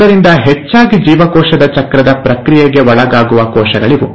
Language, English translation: Kannada, So these are the most frequent cells which undergo the process of cell cycle